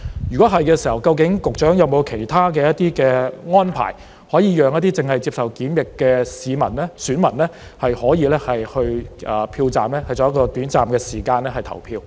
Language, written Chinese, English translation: Cantonese, 如果是，究竟局長有否其他安排，讓一些正在接受檢疫的選民可以到票站，在短暫的時間內投票？, If so does the Secretary have other arrangements to allow the electors who are undergoing quarantine to go to a polling station and vote within a short period of time?